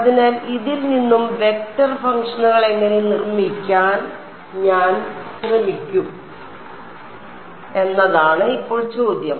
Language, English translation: Malayalam, So, now the question is how do I try to construct vector functions out of this